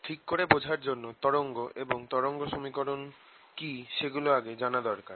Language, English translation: Bengali, to understand it fully, we should actually first understand what waves are, wave and wave equation